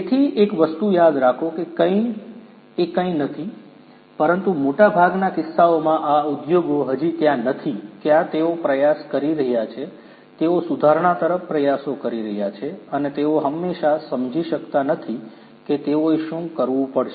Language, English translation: Gujarati, So, remember one thing that none of not none, but in most of the cases these industries are not there yet they are trying to; they are striving towards improvement and they do not really always understand what they will have to do